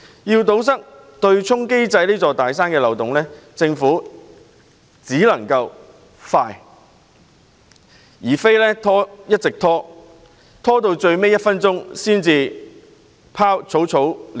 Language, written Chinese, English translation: Cantonese, 要堵塞對沖機制這座"大山"的漏洞，政府必須迅速行動，不能一直拖延，直至最後一分鐘才草草了事。, To plug the loophole of this big mountain of offsetting mechanism the Government should act swiftly rather than dragging its feet until the last minute to deal with it hastily